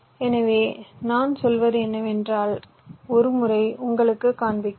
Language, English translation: Tamil, so what i mean to say is that let me just show you once